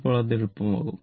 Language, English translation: Malayalam, Then it will be easier